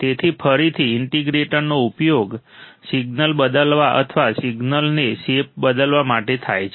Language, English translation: Gujarati, So, again the integrator is also used to change the signal or change the shape of the signal